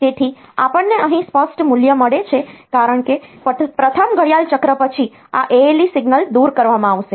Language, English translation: Gujarati, So, they we get a clear value here because after the first clock cycle this ale signal will be taken off